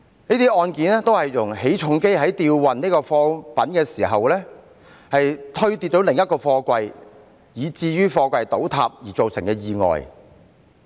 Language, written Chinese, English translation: Cantonese, 這些案件均是由於起重機在吊運貨櫃時推跌另一個貨櫃，以致貨櫃倒塌而造成的意外。, These accidents happened during the lifting of containers when the quay crane struck some container stacks resulting in the collapse of these containers